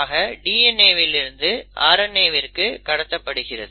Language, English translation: Tamil, So that is DNA to RNA